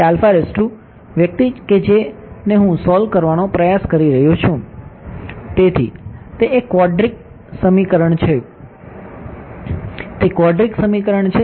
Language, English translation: Gujarati, Alpha is the guy that I am trying to solve for, so it is a quadratic equation; it is a quadratic equation right